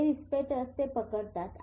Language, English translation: Marathi, These are receptors sitting here